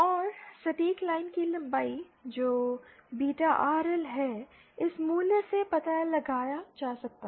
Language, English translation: Hindi, And the exact line length that is beta RL can be found out from this value